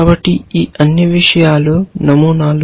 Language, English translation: Telugu, So, these things are patterns